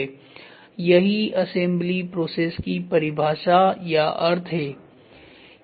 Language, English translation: Hindi, This is what is definition or the meaning for assembly process